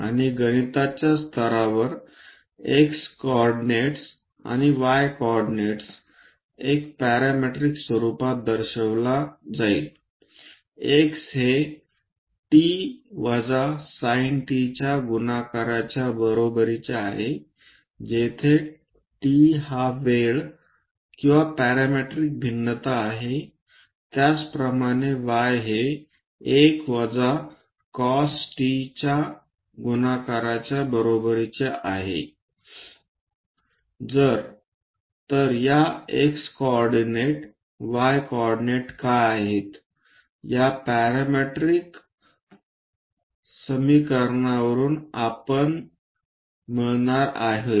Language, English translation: Marathi, And at mathematical level the x coordinates and y coordinates, one will be represented in a parametric form x is equal to a multiplied by t minus sin t, where t is the time or parametric variation